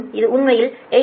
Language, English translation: Tamil, this is actually